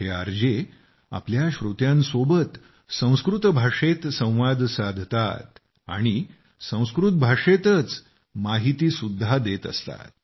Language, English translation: Marathi, These RJs talk to their listeners in Sanskrit language, providing them with information in Sanskrit